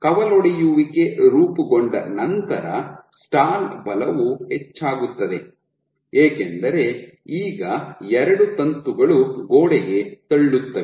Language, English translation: Kannada, And once the branch is formed the stall force will increase because now there are two filaments which push against the wall